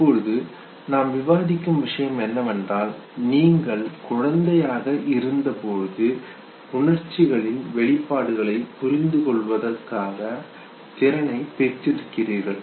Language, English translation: Tamil, Now what we have discussed till now is that as an infant you grow, as an infant you are endowed with certain capacity to acquire certain emotional expressions